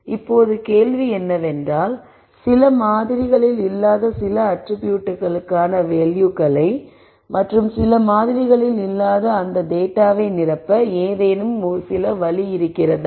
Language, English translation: Tamil, Now, the question is when I have data that is missing in some samples some attribute values that are missing in some samples, is there some way to fill in that data